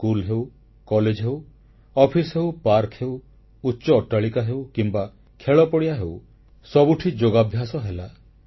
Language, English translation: Odia, Schools, colleges, offices, parks, skyscrapers, playgrounds came alive as yoga venues